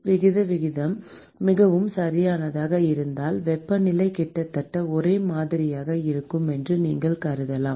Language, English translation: Tamil, If the aspect ratio is very small then you can assume that the temperature is almost uniform